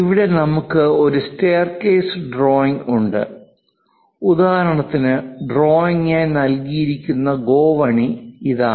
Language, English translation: Malayalam, Here we have a staircase drawing for example, this is the staircase given as a drawing